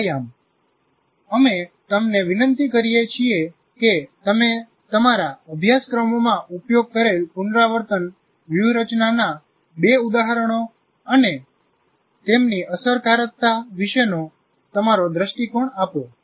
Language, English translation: Gujarati, So as an exercise, we request you to give two instances of rehearsal strategies that you actually used in your courses and your view of their effectiveness